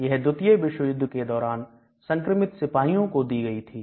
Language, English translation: Hindi, It was given during World War 2 for soldiers who had infection